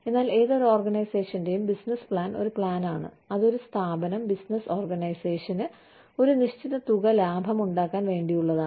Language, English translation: Malayalam, But, business plan for any organization is a plan, that the organization, that a for profit business organization has, in order to make, a certain amount of profit